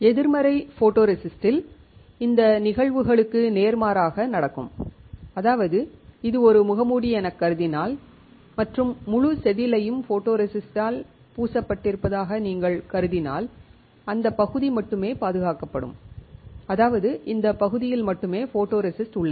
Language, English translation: Tamil, In negative photoresist opposite of this phenomena will take place; that means, if you consider that this is a mask and the whole wafer is coated with photoresist then only that area will be protected; that means, only this area has photoresist